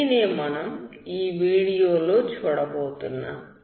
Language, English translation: Telugu, So this is what we will see in this video